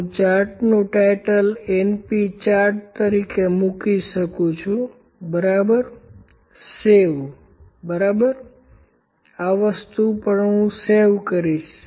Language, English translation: Gujarati, This number defective this is the np chart I can put the chart title as np chart, ok, save, ok, also I will save this thing